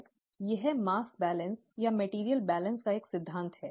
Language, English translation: Hindi, This is a principle of mass balance or material balance